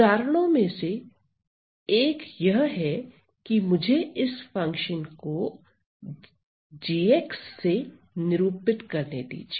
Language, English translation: Hindi, So, one of the examples is well this function let me denote it by this function g x